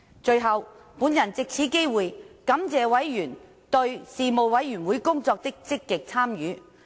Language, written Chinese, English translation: Cantonese, 最後，我藉此機會感謝委員對事務委員會工作的積極參與。, Last but not least I wish to thank members for their active participation in the work of the Panel